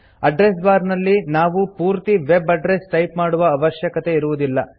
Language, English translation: Kannada, We dont have to type the entire web address in the address bar